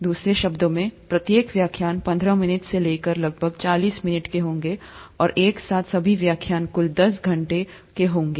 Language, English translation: Hindi, In other words, each lecture would be about anywhere between fifteen minutes to about forty minutes and all the lectures put together would be about a total of ten hours